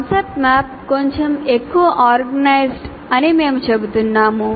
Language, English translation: Telugu, Concept map is a little more organized, structured